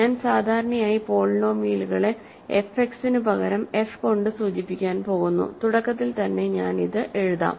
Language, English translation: Malayalam, So, I am going to usually just denote polynomials by f instead of f X, just in the beginning I will write this